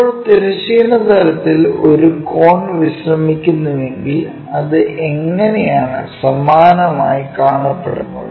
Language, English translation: Malayalam, Now, if a cone is resting on horizontal plane, how it looks like same way